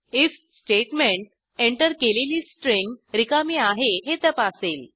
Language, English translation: Marathi, The if statement checks whether the entered string is empty